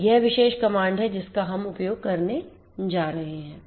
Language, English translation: Hindi, So, this is this particular command that we are going to use